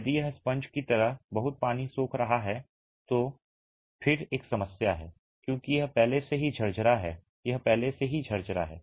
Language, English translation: Hindi, If it is going to be soaking water like a sponge that is again a problem because it is already porous